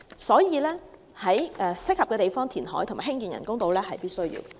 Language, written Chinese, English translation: Cantonese, 所以，在適合的地方填海和興建人工島是必需的。, Therefore it is necessary to carry out reclamation and build artificial islands at an appropriate site